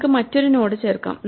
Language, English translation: Malayalam, Let us add another node